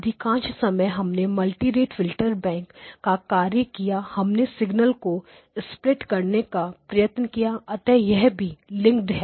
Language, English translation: Hindi, Most of the times when we are doing multi rate filter banks we are trying to split a signal, so this is also linked